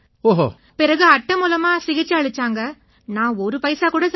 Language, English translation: Tamil, Then I got the treatment done by card, and I did not spend any money